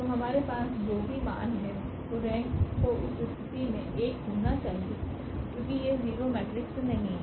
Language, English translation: Hindi, So, whatever value we have, so the rank has to be 1 in the that case because it is not the 0 matrix